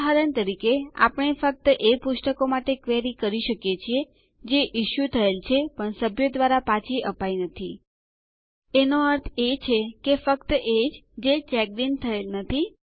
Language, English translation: Gujarati, For example, we can query for those books only, which were issued but have not been returned by members, meaning, only those that are not checked in